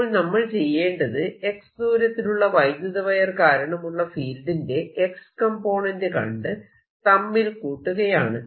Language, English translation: Malayalam, so all i need to do is take the x component of this field due to a wire at a distance, x and arrow distance here